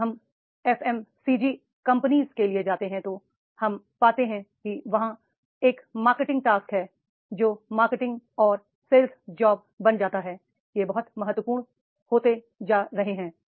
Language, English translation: Hindi, When we go for the FMCG companies, then we find that is a marketing job that becomes with marketing and sales job, they are becoming very, very important